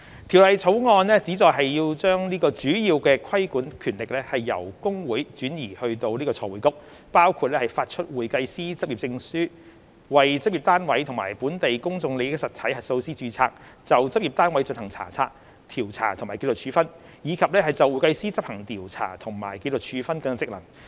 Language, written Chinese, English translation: Cantonese, 《條例草案》旨在將主要規管權力由公會轉移至財匯局，包括發出會計師執業證書；為執業單位及本地公眾利益實體核數師註冊；就執業單位進行查察、調查和紀律處分；以及就會計師執行調查和紀律處分職能。, The Bill seeks to transfer major regulatory powers from HKICPA to FRC including the issue of practising certificates for certified public accountants CPAs; registration of practice units and local PIE auditors; inspection investigation and discipline over practice units; and discharge of investigation and disciplinary functions in respect of CPAs